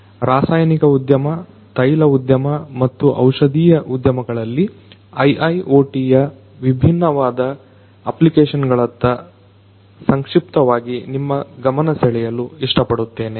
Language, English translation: Kannada, I would like to briefly expose you to the different applications of IIoT in the Chemical industry, Oil industry and the Pharmaceutical industry